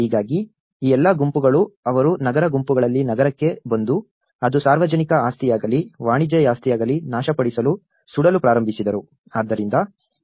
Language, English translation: Kannada, So, all these mobs, they come to the city in the urban clusters and they started destroying, burning down whether it is a public property, whether it is a commercial properties